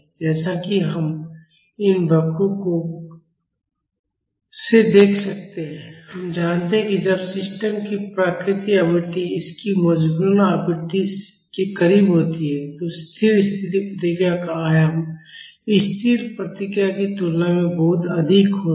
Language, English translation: Hindi, As we can see from these curves we know that when the natural frequency of the system is close to its forcing frequency, the amplitude of the steady state response is much higher than the static response